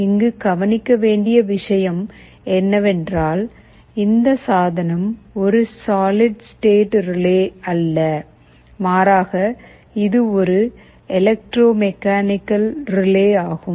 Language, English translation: Tamil, The point to notice is that this device is not a solid state relay, rather it is an electromechanical relay